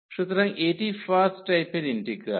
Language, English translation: Bengali, So, this is the integral of first kind